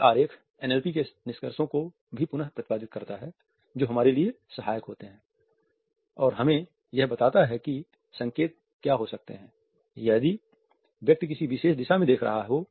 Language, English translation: Hindi, This diagram also retraites the findings of NLP which are helpful for us and we are told what may be the indications, if the person is looking at a particular direction